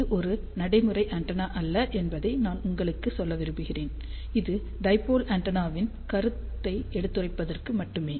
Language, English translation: Tamil, I just want to tell you this is not a practical antenna at all this is just to explain the concept of the dipole antenna